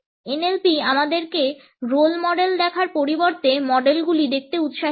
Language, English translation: Bengali, NLP encourages us to look at models instead of looking at role models